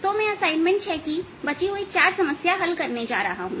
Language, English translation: Hindi, so i am going to do the remaining four problems of the assignment number six